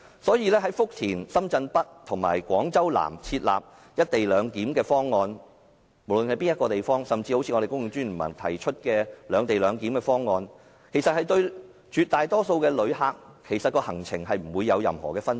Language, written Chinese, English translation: Cantonese, 所以，無論在福田、深圳北及廣州南設立"一地兩檢"的方案，甚至是公共專業聯盟提出的"兩地兩檢"的方案，其實對絕大多數的旅客而言，行程亦不會有任何分別。, Therefore the co - location arrangement at Futian Shenzhen North and Guangzhou or even the separate - location arrangement proposed by The Professional Commons will mean no difference to the itineraries of the majority of travellers